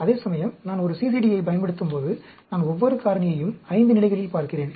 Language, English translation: Tamil, Whereas, when I use a CCD, I am looking at each factor at 5 levels